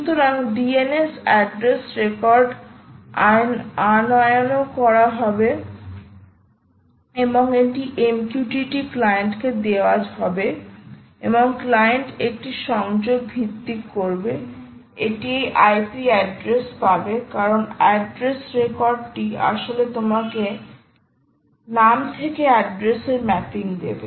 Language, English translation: Bengali, so dns address record will be fetched, ah and it will be given to the mqtt client and the client will make a connection based on and it will get this ip address because address record will actually give you the mapping of name to address, that address will come